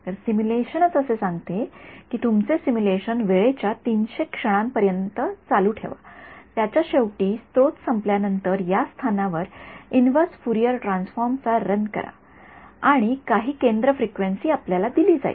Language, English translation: Marathi, So, the simulation itself says that run your simulation for the 300 time instance at the end of it after sources get over run the inverse Fourier transform at this position and some centre frequency is given to you ok